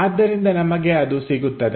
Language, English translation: Kannada, So, we will have that